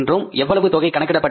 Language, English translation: Tamil, How much that amount works out as